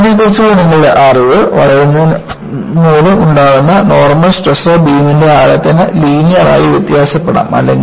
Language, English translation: Malayalam, And, your knowledge of bending, as shown that, normal stresses due to bending, can vary linearly over the depth of the beam